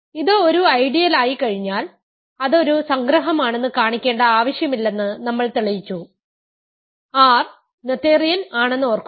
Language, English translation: Malayalam, Once it is an ideal, we have shown that we do not need to show it is an assumption, remember R is noetherian